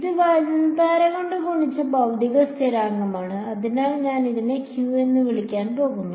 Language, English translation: Malayalam, This is physical constant multiplied by the current, so, I am going to call it Q